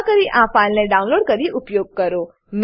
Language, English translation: Gujarati, Please download and use this file